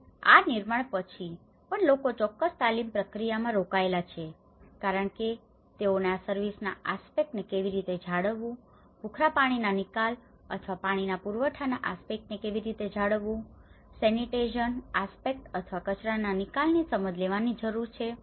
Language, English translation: Gujarati, And even, after this construction, people have been engaged in certain training process because they need to get into understanding how to maintain these service aspect, how to maintain the greywater take off or the water supply aspect, the sanitation aspect or the waste disposal